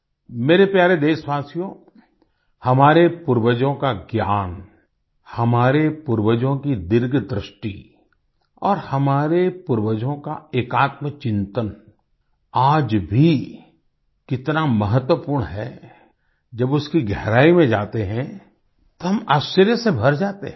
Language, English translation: Hindi, My dear countrymen, the knowledge of our forefathers, the farsightedness of our ancestors and the EkAtmaChintan, integral self realisation is so significant even today; when we go deep into it, we are filled with wonder